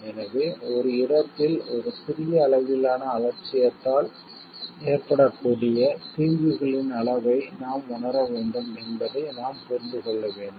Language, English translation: Tamil, So, we have to understand we have to realize the degree of harm that may be provided by a small level of negligence one's part